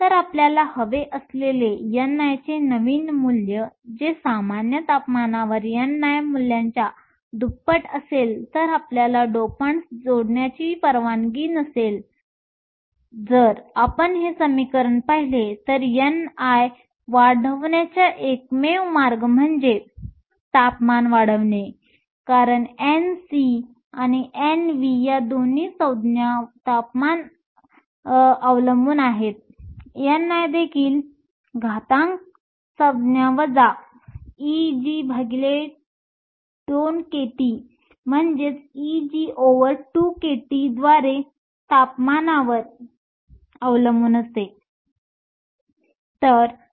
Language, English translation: Marathi, So, the new value of n i that we want is double of the n i value at room temperature if you are not allowed to add dopants, and if you look at this equation the only way to increase n i is to increase temperature, because N C and N V are both temperature dependent terms, n i also depends on temperature through this exponential term minus E g over 2 K T